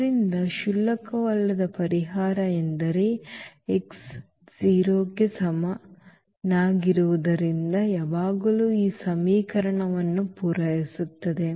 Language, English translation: Kannada, So, meaning this non trivial solution because x is equal to 0 will always satisfy this equation